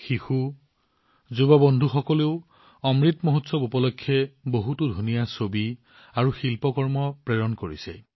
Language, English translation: Assamese, Children and young friends have sent beautiful pictures and artwork on the Amrit Mahotsav